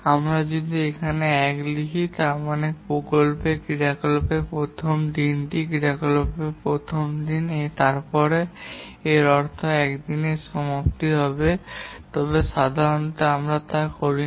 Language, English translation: Bengali, If we write day 1 here start of the project activity is day 1 for the activity A, then it will mean end of day 1 but normally we don't do that